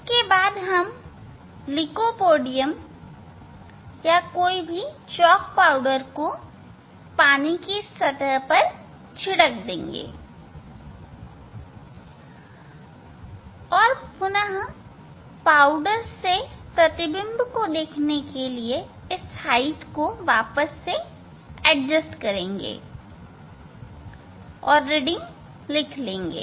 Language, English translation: Hindi, Then we will spray lycopodium or some chalk powder on the surface of the water and then we will adjust the height again to see the powder image and note down the reading